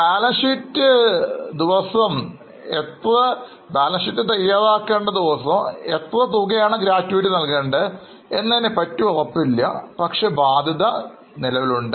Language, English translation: Malayalam, Now, as on the day of balance sheet, we are not sure about the gratuity amount payable, but the liability exists